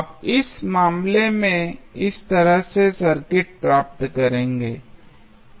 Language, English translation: Hindi, So, you will get circuit like this in this case